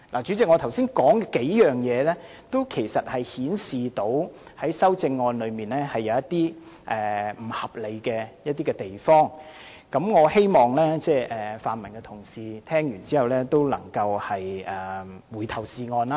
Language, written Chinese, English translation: Cantonese, 主席，我剛才提到的數點均顯示修正案裏一些不合理的地方，我希望泛民的同事聽到之後能夠回頭是岸。, Chairman I have mentioned just now a few points to illustrate the irrationalities found in the amendments in the hope that the pan - democratic Members will mend their ways upon hearing what I have said